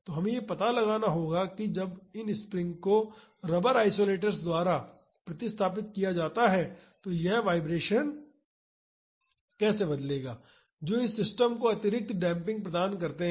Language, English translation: Hindi, And we have to find out how this vibrations will change when these springs are replaced by rubber isolators which provide additional damping to this system